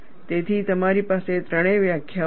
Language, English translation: Gujarati, So, you have all three definitions